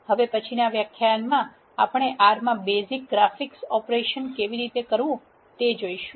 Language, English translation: Gujarati, In the next lecture we are going to see how to perform basic graphics operations in R